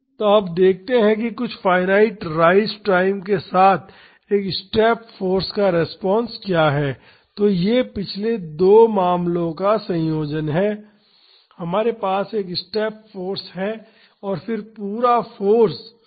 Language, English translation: Hindi, So, now let us see what is the response to a step force with some finite rise time; so, this is the combination of the last two cases we have a step force, but instead of suddenly increasing the force we have a ramp in between